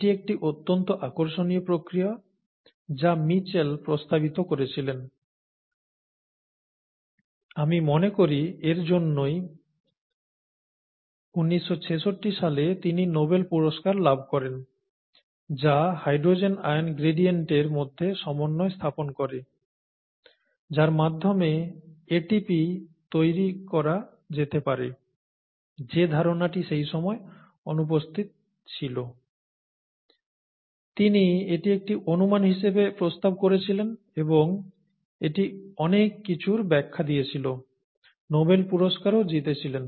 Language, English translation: Bengali, This by itself is a very very interesting process, this was what Mitchell proposed, I think in 1966 which won him the Nobel Prize, which provided the coupling between the hydrogen ion gradient and or which provided the a way by which ATP can be made which was kind of missing at that time; he proposed this as a hypothesis and (it’s it) it explained a lot of things, okay, and won the Nobel Prize also